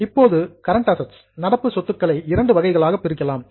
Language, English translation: Tamil, Now current assets can be classified into two types